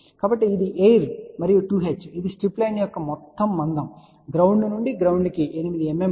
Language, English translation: Telugu, So, this is air ok and 2 h which is the total thickness of the strip line is about 8 mm which is from ground to ground